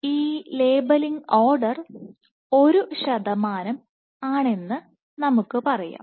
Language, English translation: Malayalam, So, this is let us say order one percent labelling